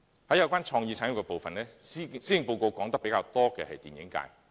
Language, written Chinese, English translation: Cantonese, 在有關創意產業的部分，施政報告說得較多的是電影界。, Insofar as the creative industries are concerned more attention is given to the film industry in the Policy Address